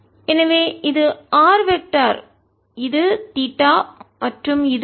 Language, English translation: Tamil, so this is the r vector, this is theta and this is phi